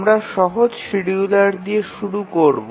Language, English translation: Bengali, We will start with the simplest scheduler